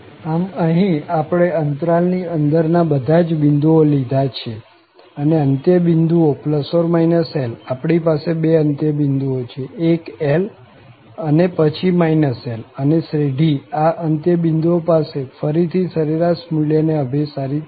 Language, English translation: Gujarati, So, here, we have taken all these inner points of the interval and the end points, we have two end points, one is plus L and then the minus L and the series at this these two end points will converge again to these average values